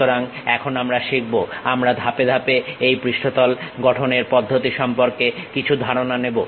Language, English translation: Bengali, So, now we will learn a we will have some idea about these surface construction procedure step by step